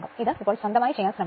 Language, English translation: Malayalam, This you should try to do it now of your own right